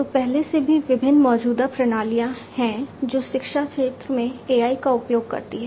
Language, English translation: Hindi, So, already there are different existing systems which use AI in the education sector